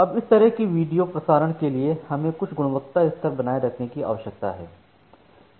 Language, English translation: Hindi, Now, for this kind of video transmission we need to maintain certain level of quality of service